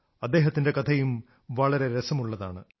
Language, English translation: Malayalam, His story is also very interesting